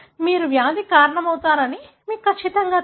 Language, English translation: Telugu, You are certain that causes the disease